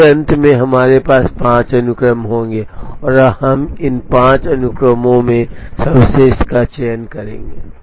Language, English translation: Hindi, So, at the end we will have five sequences and we will choose the best out of these five sequences